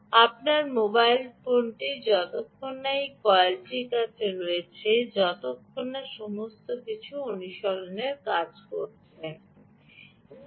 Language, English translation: Bengali, as long as you have the mobile phone close to this coil, everything should work in practice, right